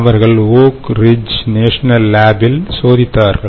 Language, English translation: Tamil, and what they did was they tested it in oak ridge national lab in us